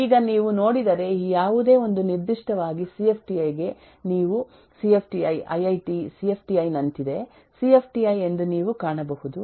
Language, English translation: Kannada, Now, if you look into any any one of this, particularly cfti, you will find that cfti, I iit is like a cfti is an is a cfti